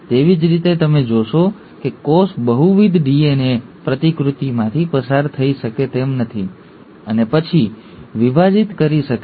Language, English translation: Gujarati, Similarly, you will find that a cell cannot afford to undergo multiple DNA replications and then divide